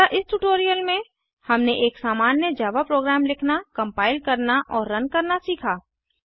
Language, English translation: Hindi, So in this tutorial, we have learnt to write, compile and run a simple java program